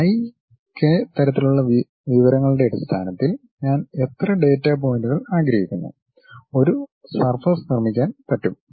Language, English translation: Malayalam, And, based on my i, k kind of information how many data points I would like to have, I will be in a position to construct a surface